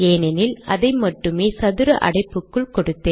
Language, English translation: Tamil, This is what I have given within the square brackets